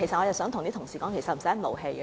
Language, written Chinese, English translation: Cantonese, 我想呼籲同事不要動氣。, I call on Members not to get angry